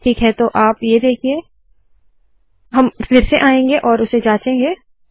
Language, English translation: Hindi, Okay so you see this, we will come back and check that